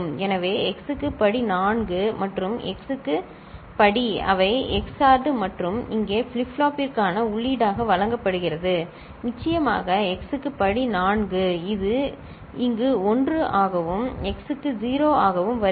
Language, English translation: Tamil, So, x to the power 4 and x to the power 3, they are XORred and fed as input to the flip flop over here and of course, x to the power 4, this is coming over here as 1, x to the power 0